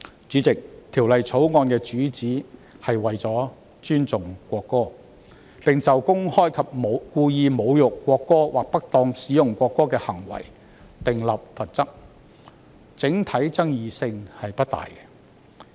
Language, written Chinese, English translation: Cantonese, 主席，《條例草案》的主旨是尊重國歌，並就公開及故意侮辱國歌或不當使用國歌的行為訂立罰則，爭議性不大。, President the object of the Bill is to respect the national anthem and impose penalties for the act of publicly and intentionally insulting the national anthem or misusing the national anthem . The Bill is not very controversial